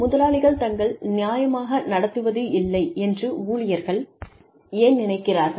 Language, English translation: Tamil, Employees may feel that, they are being treated unfairly